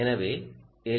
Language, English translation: Tamil, so i ah